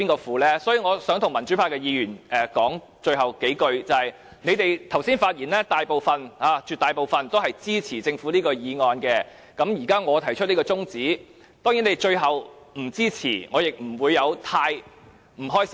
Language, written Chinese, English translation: Cantonese, 最後，我想對民主派議員說，他們剛才的發言絕大部分支持政府的議案，而我現在提出這項中止待續議案，即使他們最後不支持，我也不會感到不開心。, Finally I would like to tell the democratic Members while most of them spoke in support of the Governments motion just now I now move an adjournment motion; even if they eventually do not support me I have no bad feelings